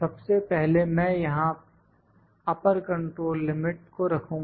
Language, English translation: Hindi, First I will put upper control limit here